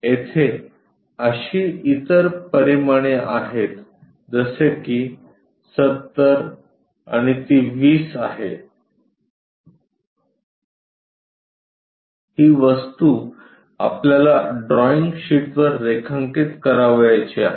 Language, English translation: Marathi, There are other dimensions like this is 70 and that is 20, this object we would like to pictorially view draw it on the drawing sheet